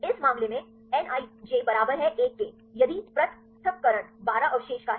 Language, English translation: Hindi, In this case, nij equal to one if the separation is 12 residues